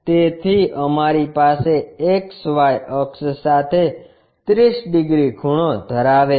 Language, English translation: Gujarati, So, 30 degrees inclined to XY axis we have